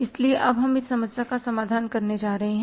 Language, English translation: Hindi, So, we are going to face this problem